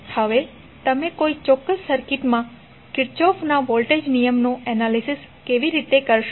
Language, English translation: Gujarati, Now, how you will analyze the Kirchhoff voltage law in a particular circuit